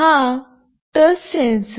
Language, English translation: Marathi, This is the touch sensor